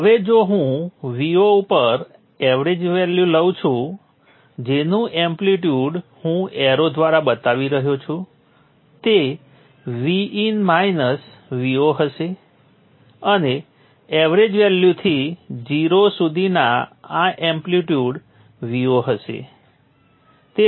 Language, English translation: Gujarati, Now if I take the average as v0 this amplitude I am indicating by the arrow will be V n minus V 0 and this amplitude from the average value to 0 would be V 0